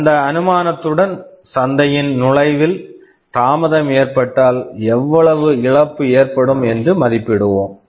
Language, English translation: Tamil, With that assumption let us try to estimate how much loss we are expected to incur if there is a delay in entering the market